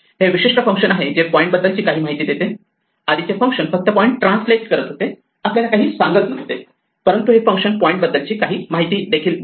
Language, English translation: Marathi, This is a typical function which returns some information about the point; the earlier function just translated the point, did not tell us anything; this is the function that returns information about the point